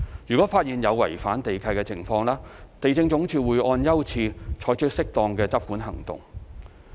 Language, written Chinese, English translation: Cantonese, 如發現有違反地契的情況，地政總署會按優次，採取適當的執管行動。, In case there is a breach of the land lease the Lands Department LandsD will take appropriate enforcement actions according to priority